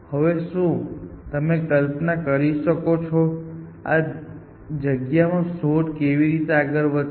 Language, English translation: Gujarati, Now, if you visualize, how search will progress in this space